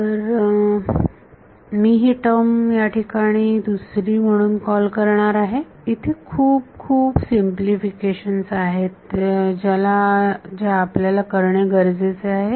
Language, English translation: Marathi, So, I am going to call this term over here as another there are many many simplifications that we need to do